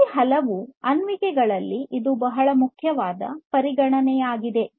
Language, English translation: Kannada, So, this is a very important consideration in many of these applications